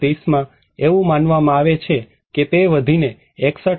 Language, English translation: Gujarati, In 2030, it is considered that it will grow as 61